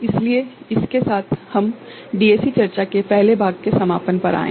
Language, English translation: Hindi, So, with this we come to the conclusion of the first part of the DAC discussion